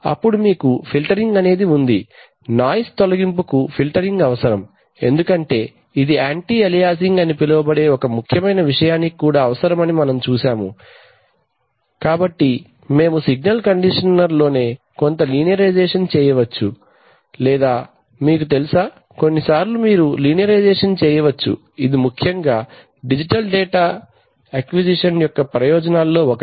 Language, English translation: Telugu, Then you have filtering, filtering is required for noise removal, as we will see it is also required for a phenomenon called anti aliasing, so and we could do some linearization in the signal conditioner itself or you know, sometimes you can do the linearization as one of the, one of the benefits of digital data acquisition is that you can do that in linearization probably much more easily in software so